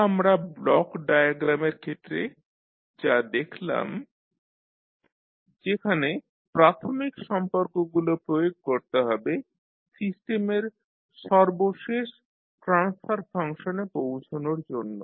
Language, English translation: Bengali, This is what we have seen in case of block diagram where we have to apply the fundamental relationships to come at the final transfer function of the system